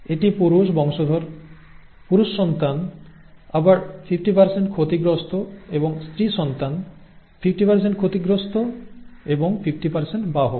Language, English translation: Bengali, The male offspring this and this are males, male offspring again 50% affected and female offspring, 50% affected and 50% are carriers